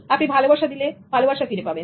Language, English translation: Bengali, Give love, you will get love back